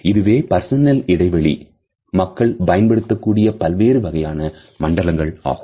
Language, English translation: Tamil, So, these are different sort of zones of personal space that people use